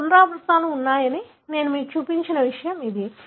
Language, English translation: Telugu, So, this is something that I have shown you that you have the repeats